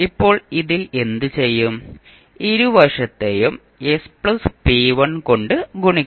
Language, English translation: Malayalam, Now, in this, what we will do, we will multiply both sides by s plus p1